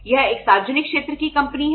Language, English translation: Hindi, It is a public sector company